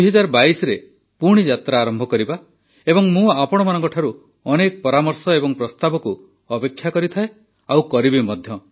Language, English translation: Odia, We will start the journey again in 2022 and yes, I keep expecting a lot of suggestions from you and will keep doing so